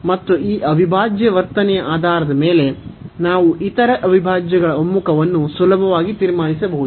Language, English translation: Kannada, And based on the behaviour of this integral, we can easily conclude the convergence of the other integral